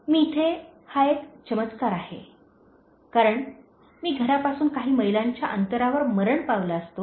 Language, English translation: Marathi, It’s a miracle that I am here, because I would have died just few miles away from the home